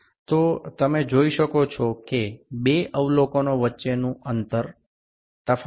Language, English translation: Gujarati, So, you can see that two observations, the two observations there is a difference of 0